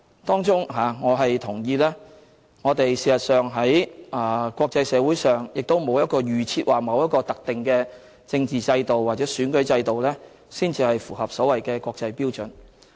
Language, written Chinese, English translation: Cantonese, 當中我同意我們在國際社會上並沒有一個預設和特定的政治制度或選舉制度才符合所謂的國際標準。, I agree with her that there is no pre - determined and specific political system or electoral system in the international community which is up to the so - called international standards